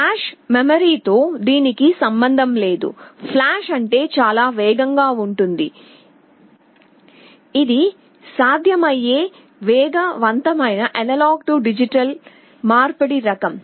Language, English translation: Telugu, Well this has nothing to do with flash memory, flash means very fast, this is the fastest type of A/D conversion that is possible